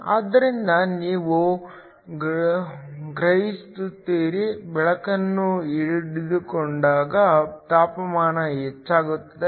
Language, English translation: Kannada, So, you sense a temperature raise when light is absorbed